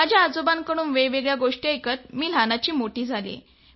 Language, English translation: Marathi, Sir, I grew up listening to stories from my grandfather